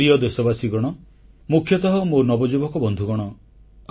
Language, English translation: Odia, My dear countrymen, many thanks to you all